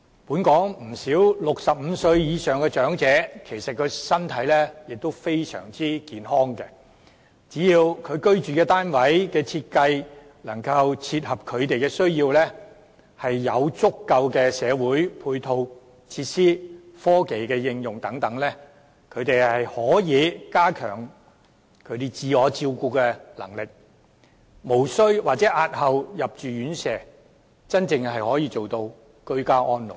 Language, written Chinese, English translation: Cantonese, 本港不少65歲以上的長者，身體仍然非常健康，只要居住單位設計能夠切合他們的需要，提供足夠的社區配套和科技應用等，便可加強他們的自我照顧能力，無須入住院舍或可押後入住，真正做到居家安老。, Many elderly persons aged over 65 in Hong Kong are still very healthy . With housing designs that are tailored to their needs and sufficient community facilities and use of technology elderly persons can enhance their self - care ability and they can save themselves from or delay the need of living in residential care homes and truly achieve ageing in place